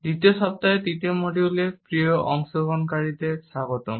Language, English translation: Bengali, Welcome dear participants to the third module of the second week